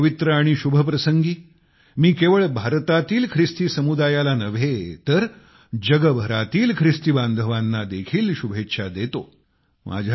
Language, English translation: Marathi, On this holy and auspicious occasion, I greet not only the Christian Community in India, but also Christians globally